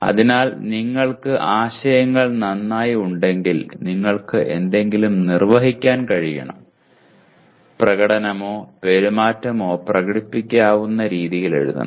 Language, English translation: Malayalam, So if you have the concepts well, you should be able to perform something and that performing or the behavior should be written which can be demonstrated